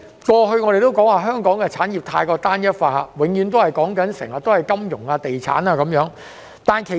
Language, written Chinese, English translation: Cantonese, 過去我們都說香港的產業過於單一化，永遠只談金融及地產。, As we have said in the past the industries of Hong Kong were overly unitary which only focus on finance and estates